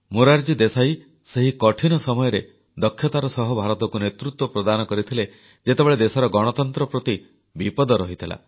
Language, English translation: Odia, Morarji Desai steered the course of the country through some difficult times, when the very democratic fabric of the country was under a threat